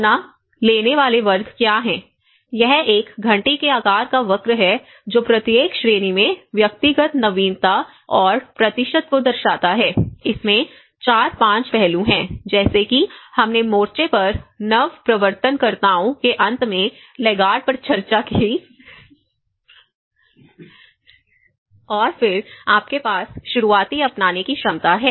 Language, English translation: Hindi, So, what are the adopter categories, this is a bell shaped curve which shows the individual innovativeness and percentages in each category, there has 4, 5 aspects as we discussed the laggards at the end the innovators on the front and then you have the early adopters, early majority and the late majority so, this is a kind of bell shaped curve